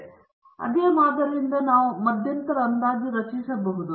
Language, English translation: Kannada, So, from the same sample we can also construct an interval estimate